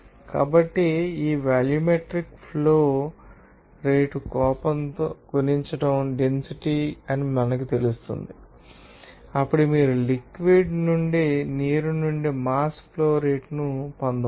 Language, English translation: Telugu, So, you can get the mass flow rate just you know that multiplying this volumetric flow rate with rage say density then you can get themass flow rate since era the fluid is water